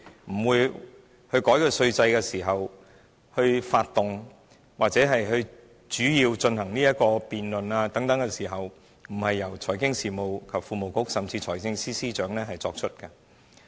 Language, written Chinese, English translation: Cantonese, 難道修改稅制及發動或進行有關辯論的時候，不應是由財經事務及庫務局甚至財政司司長作出的嗎？, Is it not the Financial Services and the Treasury Bureau or even the Financial Secretary who should be responsible for amending the tax regime as well as initiating or conducting debate on this?